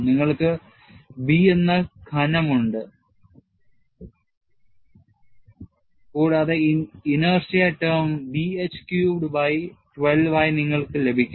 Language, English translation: Malayalam, You have the thickness as B, and you will have this as B h q by 12 as the inertia term